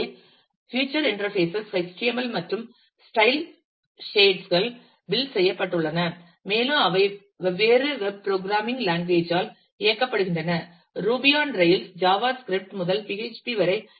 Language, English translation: Tamil, So, they feature interfaces built with HTML and the style shades, and they have powered by different web programming languages like, ruby on rails java script to PHP and so on